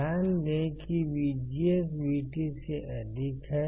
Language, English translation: Hindi, So, VGS 3 equals to VGS1